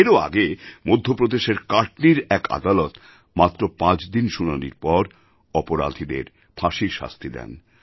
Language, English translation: Bengali, Earlier, a court in Katni in Madhya Pradesh awarded the death sentence to the guilty after a hearing of just five days